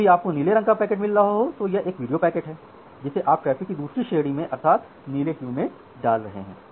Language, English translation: Hindi, Whenever you are getting a blue packet say this blue packet is assume it is a video packet the second class of traffic you are putting it in the blue queue